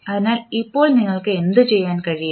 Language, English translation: Malayalam, So, now what you can do